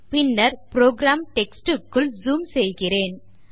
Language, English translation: Tamil, Let me zoom into the program text to have a clear view